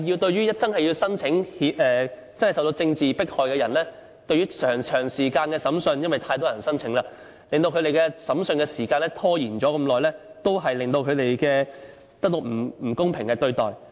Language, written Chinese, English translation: Cantonese, 對於真正受到政治迫害的人，長時間審訊——因為太多人申請——令他們的審訊時間拖延很久，也間接令他們得到不公平對待。, As to people suffering from genuine political persecutions the lengthy trials―because of too many claimants―have been delayed for a long time and have caused unfair treatment to these residents in an indirect way